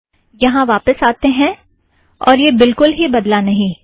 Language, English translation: Hindi, Come back here, it doesnt change at all